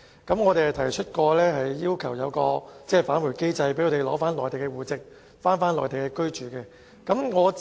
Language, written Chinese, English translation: Cantonese, 於是，我們提出設立返回機制，讓他們取回內地戶籍，返回內地居住。, Therefore we suggest introducing a return mechanism so that they can reinstate their household registration and go back to the Mainland